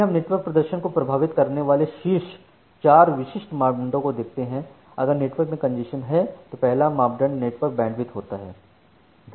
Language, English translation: Hindi, So, we look into four specific parameters on top that impact the network performance, when there are congestion in the network the first parameter is the network Bandwidth